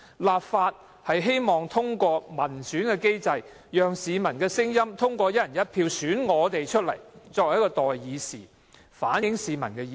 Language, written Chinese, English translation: Cantonese, 立法會希望通過民選機制，讓市民通過"一人一票"選出的代議士，反映意見。, Through the election mechanism the Legislative Council would like to see representatives elected by the people on a one person one vote basis to speak for them